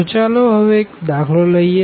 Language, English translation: Gujarati, And then let us take a simple example